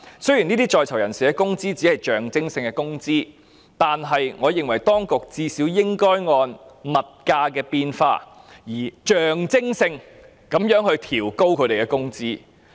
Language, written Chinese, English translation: Cantonese, 雖然在囚人士工資只屬象徵性工資，但我認為當局最少應該按物價變化而象徵性地調高他們工資。, Although the earnings of persons in custody are purely nominal I think the authorities should at least increase their wages nominally according to the changes in prices